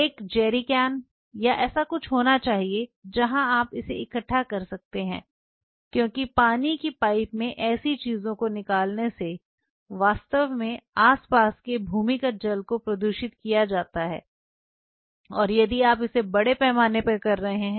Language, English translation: Hindi, There has to be a jerrycan or something where you can collect it because draining such things in the water pipe can really pollute the surrounding water table if you are doing it in large scale